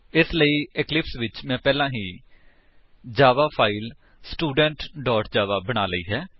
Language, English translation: Punjabi, So, in the eclipse, I have already created a java file Student.java